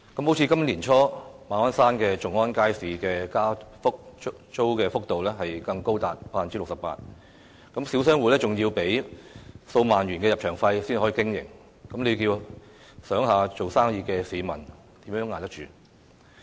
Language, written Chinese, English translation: Cantonese, 例如今年年初，馬鞍山頌安街市的加租幅度更高達 68%， 小商戶要繳付數萬元入場費才可經營，試想想做小生意的市民如何捱得住？, Early this year for example we saw a rental increase of as much as 68 % at Chung On Market in Ma On Shan and the small shop tenants had to pay an entry fee of several tens of thousand dollars in order to operate in the market . How can this be affordable to people carrying on small businesses?